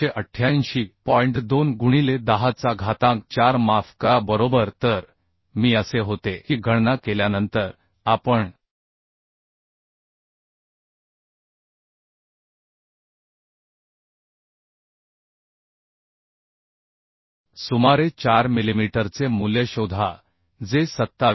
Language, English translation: Marathi, 2 into 10 to the power 4 sorry right So I was so after calculating we can find out value as around 4 millimetre which is less than 27